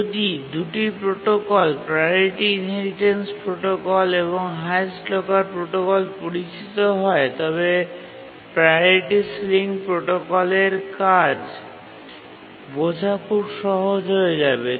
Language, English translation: Bengali, And if we know the two protocols, the priority inheritance protocol and the highest locker protocol, then it will become very easy to understand the working of the priority sealing protocol